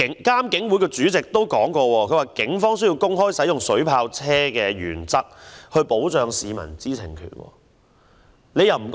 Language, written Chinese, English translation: Cantonese, 監警會主席也曾表示，警方需要公開使用水炮車的原則，以保障市民的知情權。, The IPCC Chairman has also indicated that the Police should make public the codes on the use of water cannon vehicles so as to safeguard the right to information of the public